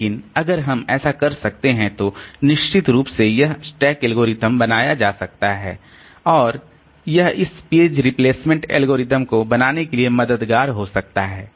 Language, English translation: Hindi, But if we can do that then definitely this stack algorithms can be realized and that can be helpful for running this page replacement algorithms